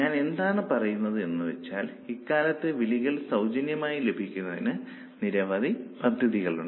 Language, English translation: Malayalam, Because nowadays there are so many packages where call charges are free